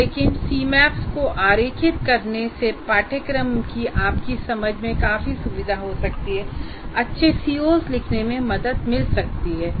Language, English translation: Hindi, But drawing C Maps can greatly facilitate your understanding of the course and in writing good COs